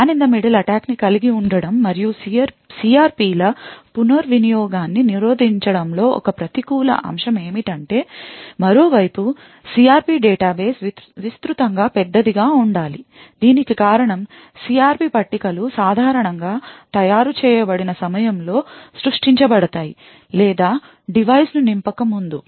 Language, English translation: Telugu, One negative aspect of having the man in the middle attack and actually preventing the reuse of CRPs is the fact that the side of the CRP database should be extensively large, the reason for this is that the CRP tables are generally created at the time of manufactured or before the device is filled